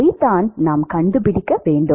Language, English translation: Tamil, That is what we need to find